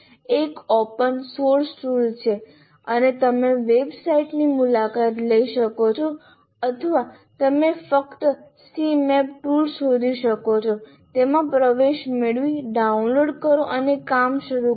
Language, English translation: Gujarati, It's an open source tool and you can go to the same website or you just say CMAP tool and you can get access to that and download and start working